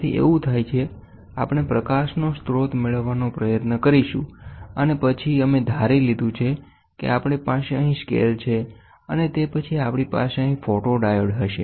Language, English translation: Gujarati, So, these scales what happens is, we will try to have a source of light and then we have assumed that we have a scale here, and then we will have a photodiode here